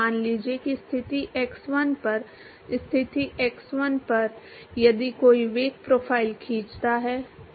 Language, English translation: Hindi, Let us say at position x1, at position x1 if a draw the velocity profile